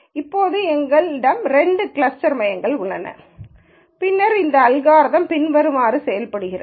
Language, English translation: Tamil, Now, that we have two cluster centres then what this algorithm does is the following